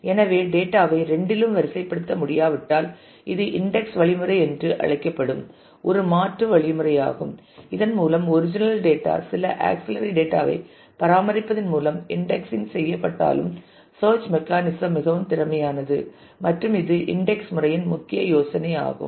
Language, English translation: Tamil, So, if we cannot actually keep the data sorted on both and therefore, this is just an alternate mechanism called the indexing mechanism through which even though the original data is not sorted by maintaining some auxiliary data we can actually make our search mechanism more efficient and that is the core idea of indexing